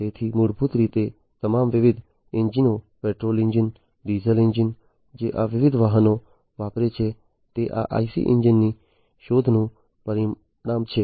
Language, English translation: Gujarati, So, basically all these different engines the petrol engines, the diesel engines, that these different vehicles use are a result of the invention of these IC engines